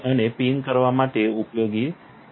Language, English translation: Gujarati, You could also use to pin